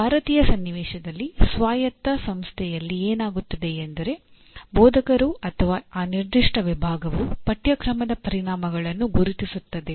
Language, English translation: Kannada, And in Indian context what happens in an autonomous institution, it is the instructor or at the department, the department itself will identify the course outcomes